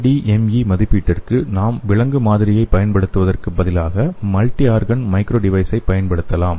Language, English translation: Tamil, For ADME evaluation we can use the multiorgan microdevice instead of using the animal model